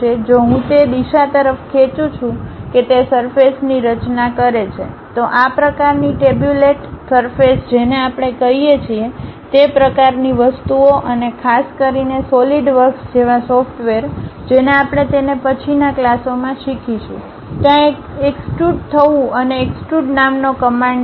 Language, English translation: Gujarati, If I am dragging that along particular direction it forms a surface, that kind of things what we call this tabulated surfaces and especially, a software like SolidWork which we will learn it in next classes, there is a command named extrude or extrusion